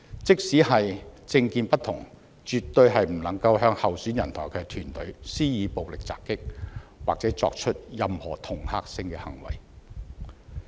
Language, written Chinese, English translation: Cantonese, 即使政見不同，也絕對不應向候選人及其團隊施以暴力襲擊，或作出任何恫嚇性的行為。, Difference in political views should not be the excuse for violently assaulting or intimidating other candidates and their electioneering teams